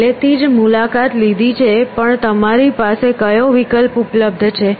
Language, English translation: Gujarati, Already visited but, what is the option availability you